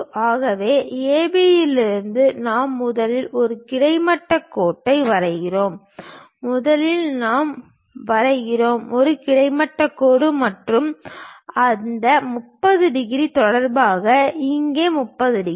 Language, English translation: Tamil, So, from A B we draw a horizontal line first, first of all we we draw a horizontal line, with respect to that 30 degrees here and with respect to that 30 degrees